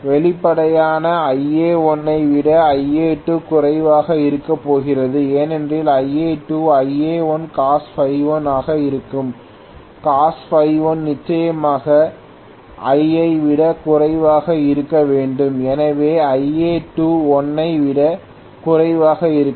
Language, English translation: Tamil, Obviously I am going to have Ia2 much less than Ia1 because Ia2 happens to be Ia1 Cos phi 1, Cos phi 1 definitely has to be less than 1, so I will have Ia2 less than 1